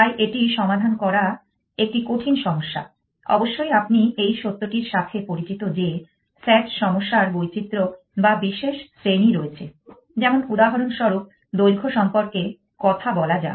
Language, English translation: Bengali, So, it is a difficult problem to solve, of course you must familiar with the fact that there are variations or special classes of sat problems which for example, talk about the length